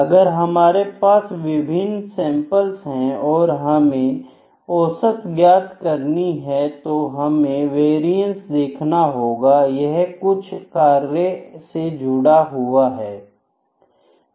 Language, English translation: Hindi, If we having different samples and we have need to find the averages of all this we need to see the variance, there is some function associated with that, ok